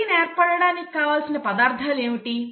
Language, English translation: Telugu, So what are the ingredients for a protein formation to happen